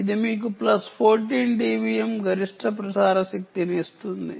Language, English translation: Telugu, it gives you a plus fourteen d b m maximum transmission power